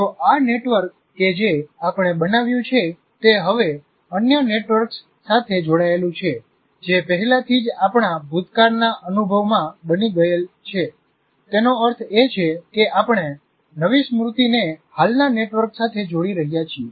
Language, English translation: Gujarati, If this network that we formed is now linked to other networks, which are already formed in our past experience, that means we are relating the new memory to the existing frameworks, existing networks